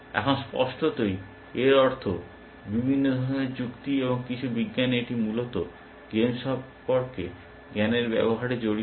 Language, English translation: Bengali, Now; obviously, this means, different kind of reasoning, and in some science it involves the use of knowledge, about the game essentially